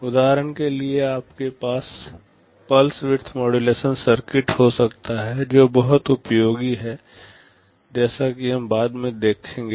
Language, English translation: Hindi, For example, you can have a pulse width modulation circuit which is very useful as we shall see later